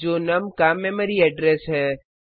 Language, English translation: Hindi, That is the memory address of num